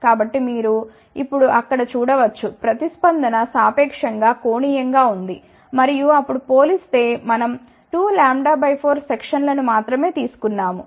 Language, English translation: Telugu, So, you can see there now now the response is relatively steeper and compare to then we have taken only 2 lambda by 4 section